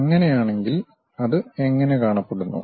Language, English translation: Malayalam, If that is the case how it looks like